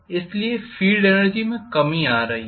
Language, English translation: Hindi, Are we having a reduction in the field energy